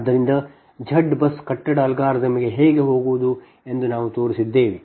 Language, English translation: Kannada, and we have shown that how to go for z bus building algorithm